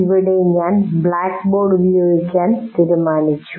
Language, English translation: Malayalam, And here we have decided to use the blackboard